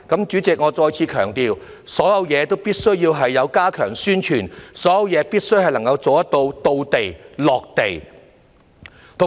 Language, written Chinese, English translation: Cantonese, 主席，我再次強調，所有事情都必須加強宣傳，所有事情都必須能夠做到"到地"、"落地"。, President I emphasize again that everything should be done with enhanced publicity; everything should reach out to the public